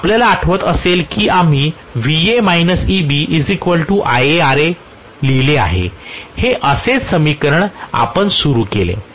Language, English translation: Marathi, If you may recall we wrote IaRa equal to Va minus Eb, this is how we started the equation